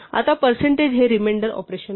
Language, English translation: Marathi, Now percentage is the remainder operation